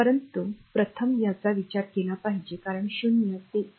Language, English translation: Marathi, But first you have to consider this because 0 to 1